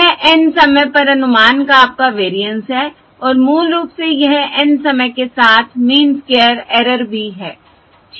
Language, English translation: Hindi, This is your variance of estimate at time and basically this is also the mean square error at time N